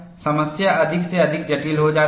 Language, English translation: Hindi, The problem becomes more and more complex